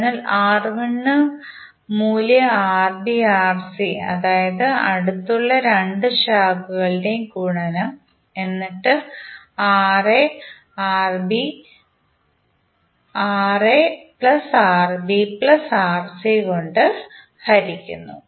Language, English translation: Malayalam, So for R1, the value would be Rb into Rc, that is the multiplication of the adjacent 2 branches divided by Ra plus Rb plus Rc